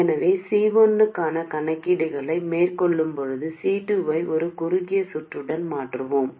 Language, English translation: Tamil, So we will replace C2 also with a short circuit while carrying out calculations for C1